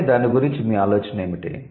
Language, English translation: Telugu, So, what is your idea about it